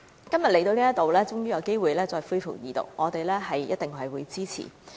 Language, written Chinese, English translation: Cantonese, 今天終於有機會恢復二讀，我們定必支持。, Finally today the Second Reading of the Bill will resume and we will definitely support it